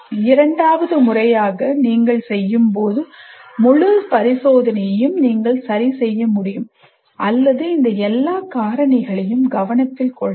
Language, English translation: Tamil, And then second time you do, you will be able to adjust many, your entire experiment or your initiative taking all these factors into consideration